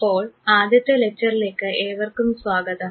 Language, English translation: Malayalam, So, welcome to this first lecture